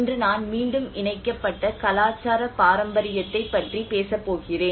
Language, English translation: Tamil, Today I am going to talk about cultural heritage re assembled